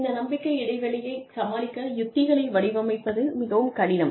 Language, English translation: Tamil, And, it could be very difficult, to design strategies, to deal with this trust gap